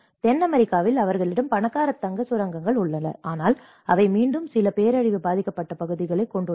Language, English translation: Tamil, In South America, they have rich gold mines, but they have again some disaster affected areas